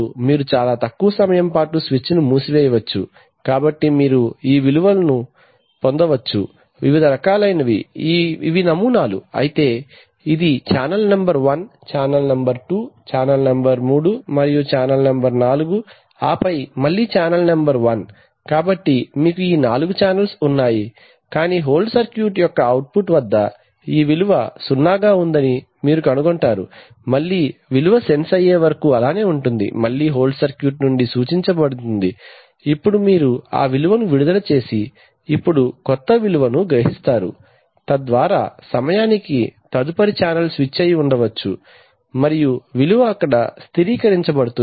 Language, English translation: Telugu, you may, you may close the switch for very small points of time, so you get these values, of the various see, these are the samples, while this could be for channel number one, channel number two, channel number three and channel number four and then again channel number one, so you have these four channels, but at the output of the hold circuit, you will find that this value zero is being held up, till the value is sense to, again the hold circuit is instructed that, now you release that held value and now acquire new value so by the time can the next channel switch has been put on and the value has stabilized there so now the hold circuit senses the new value and then again holds it for the next interval, so it holds it for the next interval then again it senses the new value and then again holds it, so this is what happens by a sample and hold right